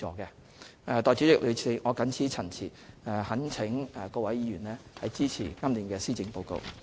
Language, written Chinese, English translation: Cantonese, 代理主席，我謹此陳辭，懇請各位議員支持今年的施政報告。, With these remarks Deputy President I implore Members to support this years Policy Address